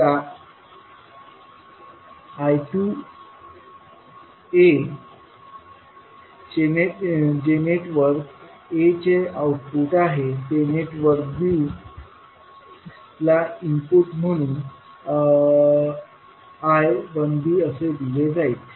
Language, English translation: Marathi, Now the I 2a which is output of network a will be given as input which is I 1b to the network b